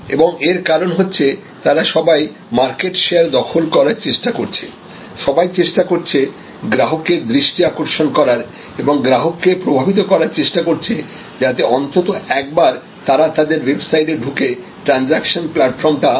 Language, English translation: Bengali, And this because, their all trying to grab market share, there all trying to grab attention of the consumer and trying to persuade the consumer at least comes once an experience their website and their transactional platform